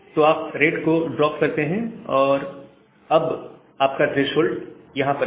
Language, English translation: Hindi, So, you drop the rate, and now your slow start threshold is here